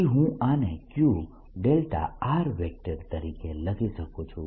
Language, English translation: Gujarati, then i can write this as q delta of r